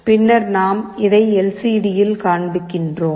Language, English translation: Tamil, Then, we are displaying on LCD